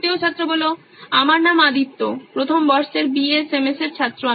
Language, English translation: Bengali, My name is Aditya First Year BSMS